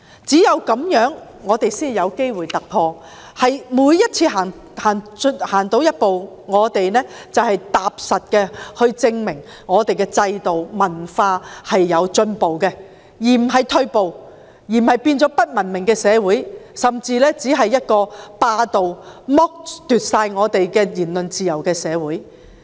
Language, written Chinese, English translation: Cantonese, 只有這樣，我們才會有機會突破，而每次走前一步，我們均可踏實地證明我們的制度和文化是有進步的，而不是退步，不會變成不文明的社會，甚至只是一個霸道地剝奪我們的言論自由的社會。, It is only then that will we have the opportunity of making a breakthrough . Every step ahead will be practical proof of progress in our system and culture . We will not move backward and become an uncivilized society or one which even arbitrarily deprives us of freedom of speech